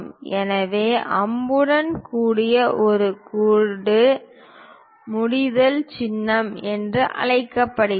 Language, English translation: Tamil, So, a line with an arrow is called termination symbol